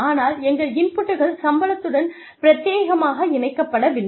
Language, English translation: Tamil, But, our inputs are not tied, exclusively to the salaries